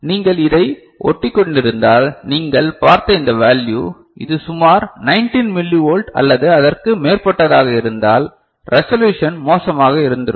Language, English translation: Tamil, If you had stuck to this one, then your this value you had seen, it is around 19 millivolt or so, the resolution would have been worse, fine